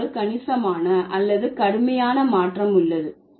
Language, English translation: Tamil, There is a substantial or drastic change of meaning